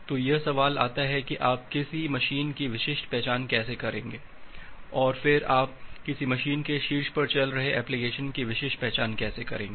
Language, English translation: Hindi, So, the question comes that how will you uniquely identify a machine, and then how will you uniquely identify an application running on top of a machine